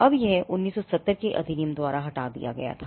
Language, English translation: Hindi, Now, this was removed by the 1970 act